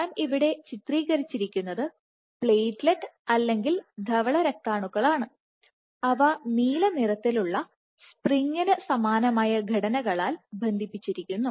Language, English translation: Malayalam, So, what I have depicted here is platelet or white blood cells, which are connected by these blue spring like structures